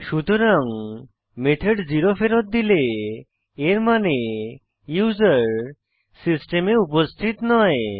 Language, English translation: Bengali, So, if the method returns 0 then, it means the user does not exist in the system